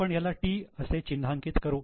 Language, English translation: Marathi, So, I am marking it as P